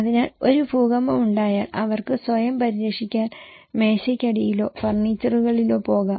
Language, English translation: Malayalam, So, if there is an earthquake, they can go under desk or furniture to protect themselves